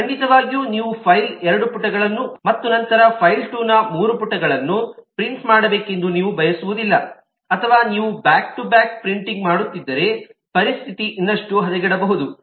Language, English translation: Kannada, certainly you do not want that you print two pages of file 1 and then three pages of file 2, or if you are doing back to back printing, the situation can get even worse